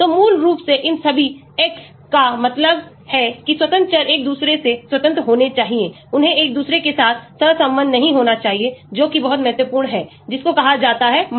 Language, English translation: Hindi, So, basically all these x's, that means the independent variables should be independent of each other, they should not be correlated with each other that is very, very important that is what is called a multicollinearity